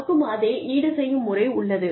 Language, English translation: Tamil, And we, have the same compensation structure